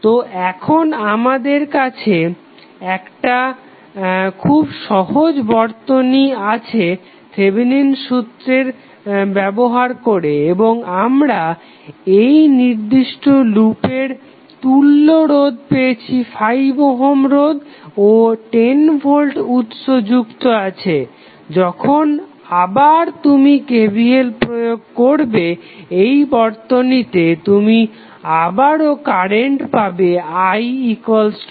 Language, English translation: Bengali, So, we have now very simple circuit when we consider the Thevenin theorem and we get the equivalent resistance of this particular loop as 5 ohm plus 10 ohm volt voltage source is connected when you apply again the KVL in this particular circuit you will get again current i x minus 2 ampere